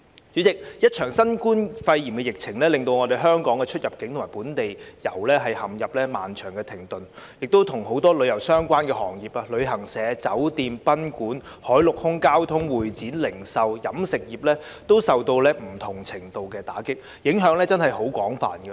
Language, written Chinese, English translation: Cantonese, 主席，一場新冠肺炎疫情令香港的出入境及本地遊陷入漫長的停頓，很多與旅遊相關的行業如旅行社、酒店、賓館、海陸空交通、會展、零售及飲食業，均受到不同程度的打擊，影響確實廣泛。, President the outbreak of the Coronavirus disease has caused both inbound and outbound travels as well as the local tours in Hong Kong to come to a prolonged standstill . Many tourism - related sectors such as travel agencies hotels guesthouses marinelandair transport convention and exhibition retail and food and beverage services have been dealt a blow to varying degrees . The impact is indeed extensive